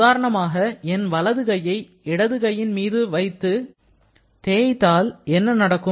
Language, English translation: Tamil, Like let us suppose if I have, I move my right hand over my left one, then what will happen